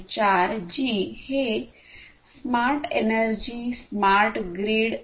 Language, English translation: Marathi, 4g) for smart energy smart grid etc